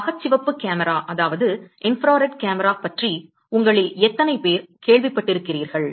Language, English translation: Tamil, How many of you heard about infrared camera